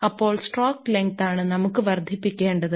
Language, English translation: Malayalam, So, that is the stroke length we have to increase